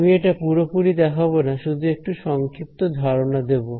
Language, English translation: Bengali, So, I will not outline it fully, but we will just have a brief idea of it